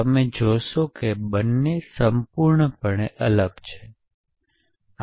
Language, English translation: Gujarati, You see that this and this are completely different